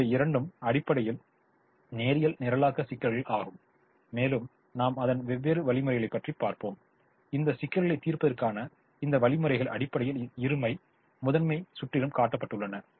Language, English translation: Tamil, both of them are essentially linear programming problems, but then we will look at different algorithms and these algorithms to solve this problems are essentially built around the duality principal